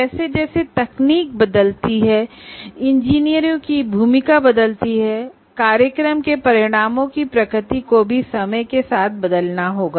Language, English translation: Hindi, As the technology changes, the role of engineers change, so the nature of program outcomes also will have to change with time